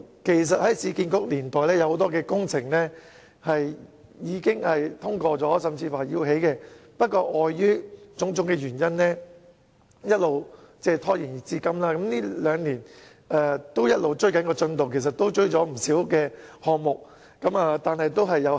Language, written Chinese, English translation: Cantonese, 其實，在市區重建局年代，有很多工程已獲通過興建，不過礙於種種原因，一直拖延至今，近兩年一直在追趕進度，雖然已追回不少項目，但數目仍然有限。, As a matter of fact many projects were already endorsed for construction during the era of the Urban Renewal Authority but they have been procrastinated for various reasons . Although the developers have been working hard to catch up the progress in these two years and the schedules of not a few projects could be met the number of such projects is still very limited